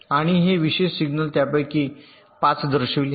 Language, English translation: Marathi, and these special signals, five of them are shown